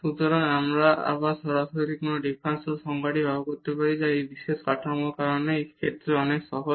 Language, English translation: Bengali, So, again this we can directly use this definition of the differentiability which is much easier in this case because of this special structure